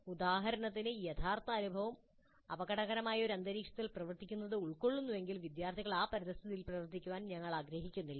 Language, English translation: Malayalam, For example if the actual experience involves working in an environment which is hazardous, obviously we do not want the students to work in that environment so we can use simulation models